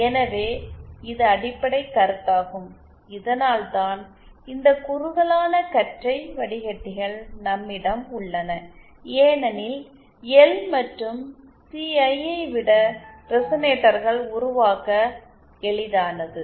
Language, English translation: Tamil, Now, so, that is the basic concept that, that this why we have this concept of narrowband filters because resonators are easier to build than L and C